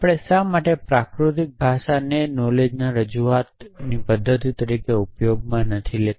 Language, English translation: Gujarati, Why do not we use natural language as a representation mechanism for knowledge